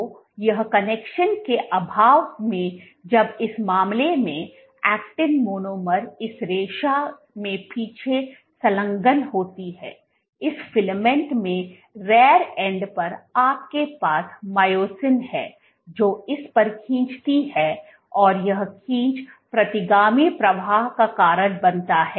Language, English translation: Hindi, So, in the absence of this connection when, in this case when these actin monomers get engaged, at the rear end in this filament you have myosin which pulls on this, causing this myosin pulling on it causes retrograde flow